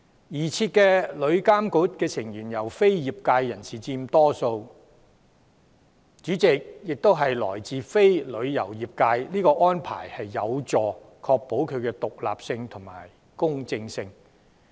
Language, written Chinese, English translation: Cantonese, 擬設的旅監局成員由非業界人士佔大多數，主席亦並非來自旅遊業界，這安排將有助確保旅監局的獨立性和公正性。, For the proposed TIA a majority of its members as well as its Chairperson will be non - trade members to ensure its independence and impartiality